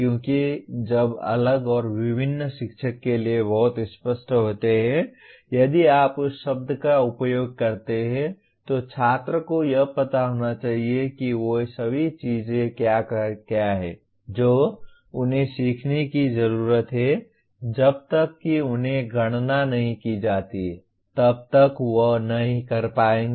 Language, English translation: Hindi, Because while “different” and “various” are very clear to the teacher if you use that word the student who is supposed to know what are all the things that he needs to learn unless they are enumerated he will not be able to